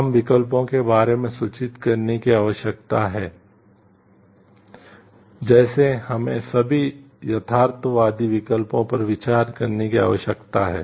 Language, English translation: Hindi, We need to get informed about the options; like, we need to consider all realistic options